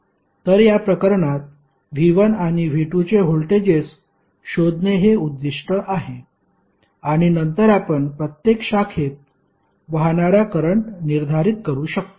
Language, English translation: Marathi, So, in this case the objective is to find the voltages of V 1 and V 2, when we get these values V 1 and V 2